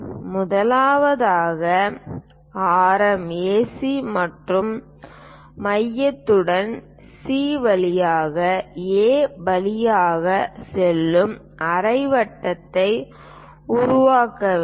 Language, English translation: Tamil, First of all, we have to construct a semicircle passing through A with radius AC and centre as C